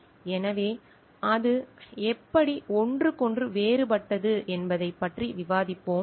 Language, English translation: Tamil, So, let us discuss like how it is different from one another